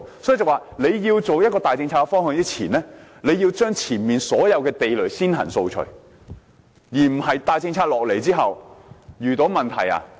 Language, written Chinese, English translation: Cantonese, 因此，政府在推出大政策之前，要將前面所有地雷先行掃除，而不是在大政策推出後才遇到問題。, Hence the Government should rather clear all landmines and settle possible hurdles before introducing any major policies than leaving the problems to explode afterwards . The Government should not act thoughtlessly without considering possible consequences